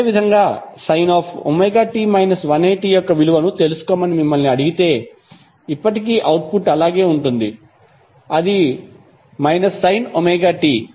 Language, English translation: Telugu, Similarly, if you are asked to find out the value of omega t minus 180 degree, still the output will remain same, that is minus sine omega t